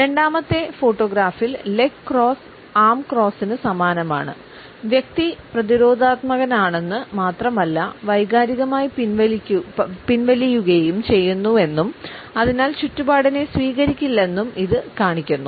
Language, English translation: Malayalam, In the second photograph, we find that the leg cross is duplicated by the arms crossed; it shows that the individual is not only defensive, but is also emotionally withdrawn and therefore, is almost unreceptive to surroundings